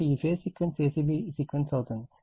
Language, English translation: Telugu, So, this phase sequence is your a c b sequence right